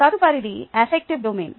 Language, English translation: Telugu, next is the affective domain